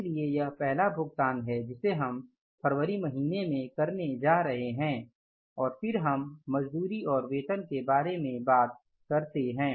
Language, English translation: Hindi, So, this is the first payment we are going to make in the month of February and then we talk about the wages and salaries